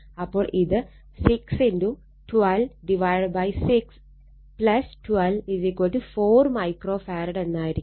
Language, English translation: Malayalam, So, it will be 6 into 12 by 6 plus 12 right, so this will be 4 microfarad